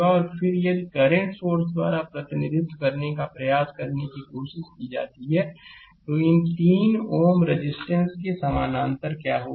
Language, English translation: Hindi, And then if you try to if you try to represented by current source, then what will happen these 3 ohm resistance will be in parallel